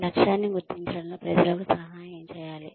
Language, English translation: Telugu, Assisting people in goal identification